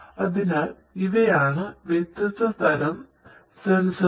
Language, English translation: Malayalam, So, there are different different sensors